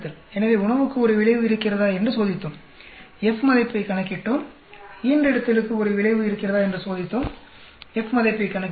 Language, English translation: Tamil, So, we checked whether the food has an effect, calculating F value; litter has an effect, calculating the F values